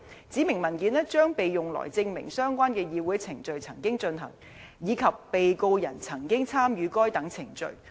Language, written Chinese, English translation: Cantonese, 指明文件將被用來證明相關的議會程序曾經進行，以及被告人曾經參與該等程序。, The specified documents will be used to prove that the relevant parliamentary proceedings took place and that the Defendant participated in the proceedings